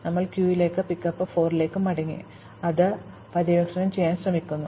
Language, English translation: Malayalam, We come back to the queue and pickup 4 and try to explore it